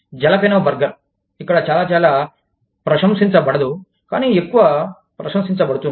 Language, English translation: Telugu, A Jalapeno burger, may not be, very, very, appreciated, more appreciated here